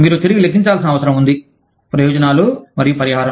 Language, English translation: Telugu, You are need to recalculate, benefits and compensation